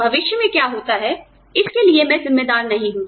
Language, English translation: Hindi, I am not responsible for, what happens in future